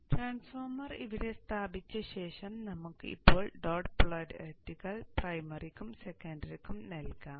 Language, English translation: Malayalam, After having placed the transformer here, let us now assign the dot polarities to the primary and the secondary